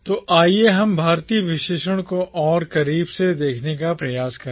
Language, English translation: Hindi, So, let us try to look at the adjective “Indian” more closely